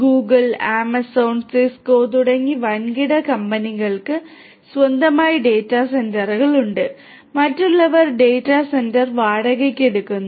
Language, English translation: Malayalam, Large scale companies such as Google, Amazon, Cisco they have their own data centres others rent the data centre facilities and so on